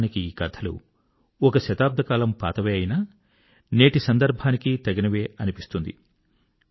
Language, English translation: Telugu, Though these stories were written about a century ago but remain relevant all the same even today